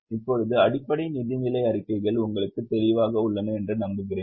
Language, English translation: Tamil, I hope now the basic financial statements are clear to you